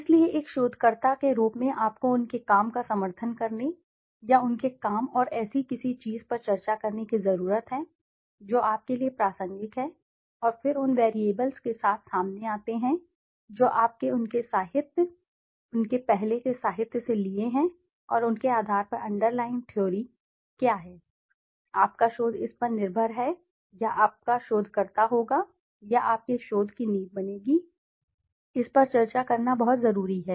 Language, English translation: Hindi, So, as a researcher you need to support their work or discuss their work and something that is relevant to yours and then come out with the variables what you have used from their literature, their earlier literature and what are the underlying theory on basis of which your research is dependent on or your the researcher would be or the foundation of your research would be built on, it is very important to discuss